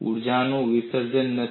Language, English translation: Gujarati, There is no dissipation of energy